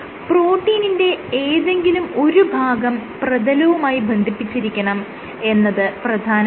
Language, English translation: Malayalam, So, one end of the protein must remain attached to the substrate